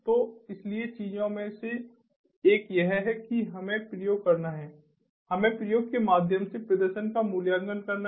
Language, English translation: Hindi, so one of the things is that we have to experiment, we have to experiment, we have to evaluate the performance through experimentation